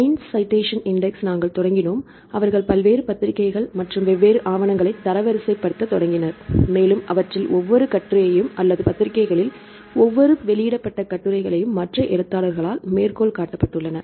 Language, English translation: Tamil, Then we started the science citation index right they started to rank the different journals as well as the different papers, and see how many citations each article or each general published articles in generals are cited by other authors